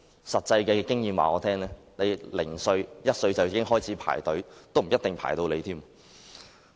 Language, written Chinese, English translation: Cantonese, 實際經驗告訴我，兒童1歲開始排隊，也未必輪得到。, Practical experience tells me that parents may not be able to get a place even if they start queuing up when their children are one year old